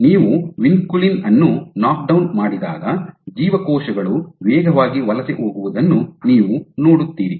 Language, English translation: Kannada, When you knockdown vinculin, what you see is the cells become faster migration